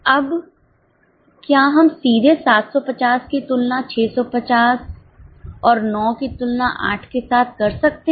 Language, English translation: Hindi, Now, can we directly compare 750 with 650 and 9 with 8